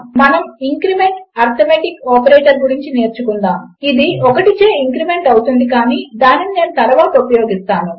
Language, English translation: Telugu, Well learn about the increment arithmetic operator which increments by 1 but Ill use that a little later